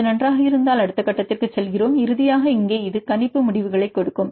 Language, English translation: Tamil, If it is fine then we proceed to a next step then finally, here it will give this is the prediction results